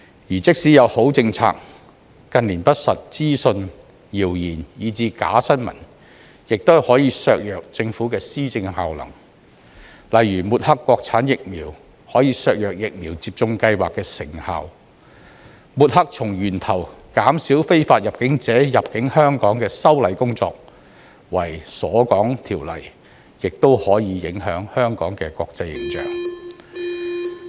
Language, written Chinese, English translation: Cantonese, 而即使有好政策，近年不實資訊、謠言、以至"假新聞"亦可以削弱政府的施政效能，例如抹黑國產疫苗可以削弱疫苗接種計劃的成效，抹黑從源頭減少非法入境者入境香港的修例工作為"鎖港條例"，亦可影響香港的國際形象。, Even if there are good policies misinformation rumour and even fake news in recent years can still undermine the effectiveness of governance . For instance the discrediting of China - made vaccines may undermine the efficacy of vaccination programmes and the smearing as exit ban law of the legislative amendment that seeks to reduce at source illegal immigration to Hong Kong may also have an impact on the international image of Hong Kong